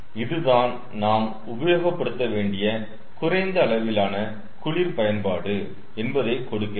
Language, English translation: Tamil, so this gives the minimum amount of cold utility we have to use